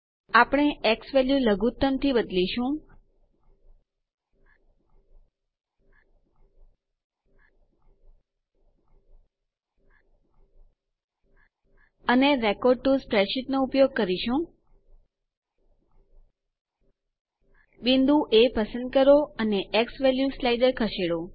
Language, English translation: Gujarati, We will change the x value to minimum, and the use the record to spreadsheet, select point A and move the xValue slider